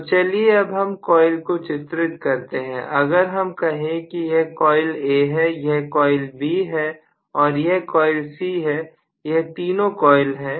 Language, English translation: Hindi, Now let me draw the coils as well, so if I say that this is coil A, this is B and this is going to be C right, these are the 3 coils